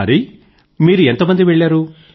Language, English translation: Telugu, Hari, how many of you were there